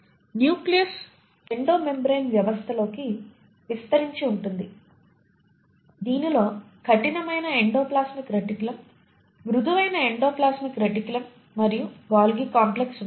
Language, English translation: Telugu, The nucleus keeps on extending into Endo membrane system which consists of rough endoplasmic reticulum, the smooth endoplasmic reticulum and the Golgi complex